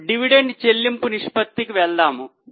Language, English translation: Telugu, Now we will try to to dividend payout ratio